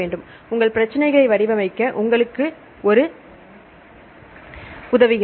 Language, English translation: Tamil, Then this is also help you to design your research problem